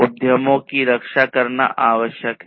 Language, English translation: Hindi, It is required to protect the enterprises